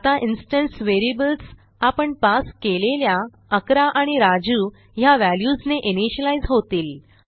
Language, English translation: Marathi, Now the instance variables will be initialized to 11 and Raju.As we have passed